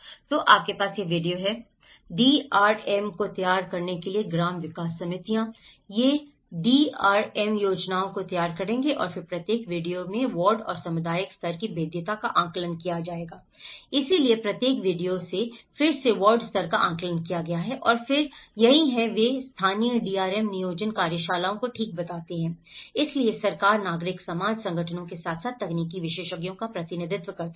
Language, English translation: Hindi, So, you have these VDC’s; village development committees to prepare the DRMs so, they will prepare the DRM plans and then the ward and community level vulnerability assessments were carried out in each VDC, so there is again ward level assessment has been carried out in each VDC and then that is where, they form the local DRM planning workshops okay, so with represent of government, civil society, organizations as well as technical experts